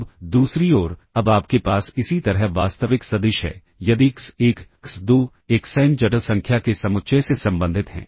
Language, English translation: Hindi, Now, on the other hand, now you have since real vector similarly, if x1, x2, xn belong to the set of complex number